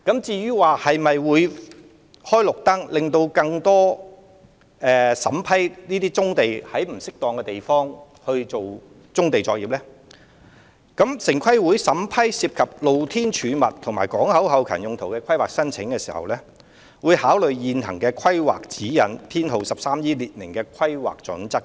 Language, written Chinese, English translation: Cantonese, 至於會否"開綠燈"，審批更多在不適當場地進行棕地作業的申請，城規會在審批涉及"露天貯物"和港口後勤用途的規劃申請時，會考慮現行的 "13E 規劃指引"所列明的規劃準則行事。, As to whether a green light will be given to grant approval to a large number of applications for carrying out brownfield operations on unsuitable sites TPB will take into consideration the planning criteria specified in the existing Planning Guidelines No . 13E when assessing planning applications involving open storage and port back - up uses